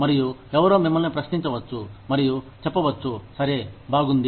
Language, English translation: Telugu, And, somebody could question you, and say, okay, well